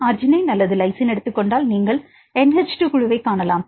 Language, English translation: Tamil, So, it also if the take the arginine or lysine you can see NH 2 group